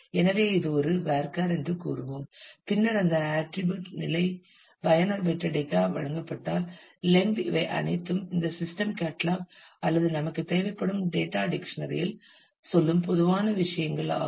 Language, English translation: Tamil, So, we will say this is a varchar; then the position of that attribute, the length if it is given the user metadata all of this are typical things that will go into this system catalogue or the data dictionary that we will require